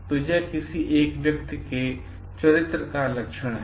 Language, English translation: Hindi, So, this is one of the character traits of a person